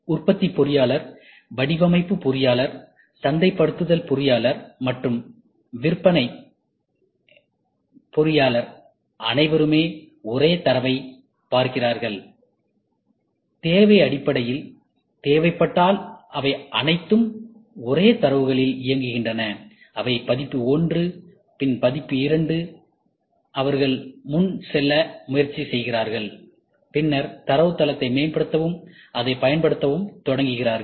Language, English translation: Tamil, The manufacturing engineer, the design engineer, the marketing engineer, and the sales all of them get to see the same data, all of them work on the same data if there is a need based, they release it as version 1, then version 2, they try to go advance and then try to improvise the database and start using it